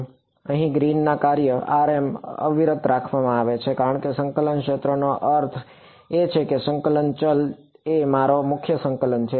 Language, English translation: Gujarati, So, here in this Green's function r m is being held constant because the region of integration is I mean the variable of integration is my prime coordinate